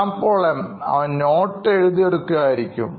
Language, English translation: Malayalam, Shyam Paul M: He might be taking a lot of notes